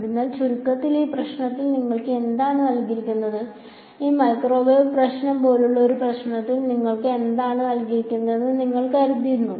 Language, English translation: Malayalam, So, in short in this problem what is given to you, what all do you think is given to you in a problem like this microwave problem